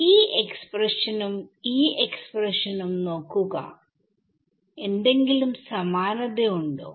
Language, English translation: Malayalam, Look at this expression and this expression, is there something common